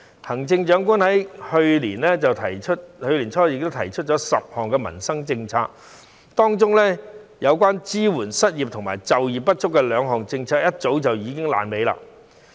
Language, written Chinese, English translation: Cantonese, 行政長官去年年初亦提出了10項民生政策，當中有關支援失業及就業不足的兩項政策早已爛尾。, Early last year the Chief Executive proposed 10 livelihood policies but among them two policies for supporting the unemployed and the underemployed fell through long ago